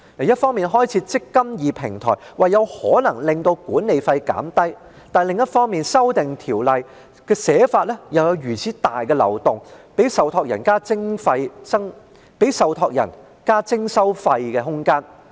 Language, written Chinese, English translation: Cantonese, 一方面，政府開設"積金易"平台，表示可能令管理費減低；但另一方面，《條例草案》有如此重大的漏洞，給予受託人增加徵費的空間。, On the one hand the Government develops the eMPF Platform in the hope of reducing the management fee; on the other hand the Bill has such a significant loophole that allows room for the trustees to increase their fees